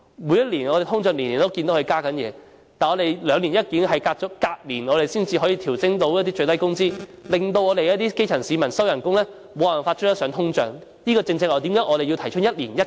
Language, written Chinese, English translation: Cantonese, 每年通脹物價都增加，但是礙於兩年一檢，隔年才可以調升最低工資，令基層市民的薪金無法追上通脹，這正是為何我們提出一年一檢。, Prices increase with inflation annually but due to the biennial review the minimum wage can be adjusted only the next year so the salary of grass roots can never catch up with inflation . This is exactly why we propose that the review be conducted once every year